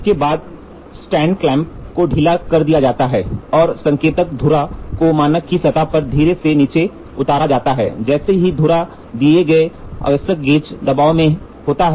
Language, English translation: Hindi, Next, the stand clamp is loosened and the spindle of the indicator is gently lowered onto the surface of the standard such that the spindle is under the given required gauge pressure